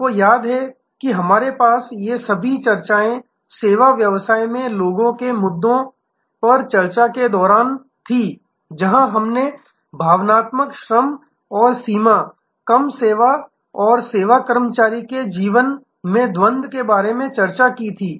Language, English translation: Hindi, You remember we had these, all these discussions during the people issues in services business, where we discussed about emotional labour and boundary less service and duality in the life of a service employee